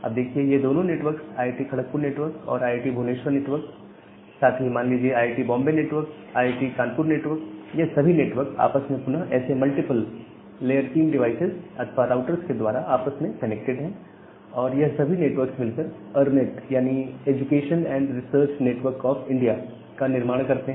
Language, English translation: Hindi, Now, these 2 network the IIT, Kharagpur network IIT, Bhubaneshwar network as well as say IIT, Mumbai network IIT, Kanpur network all those networks are connected with each other through multiple such again layer 3 devices or the routers and they formed a ERNET network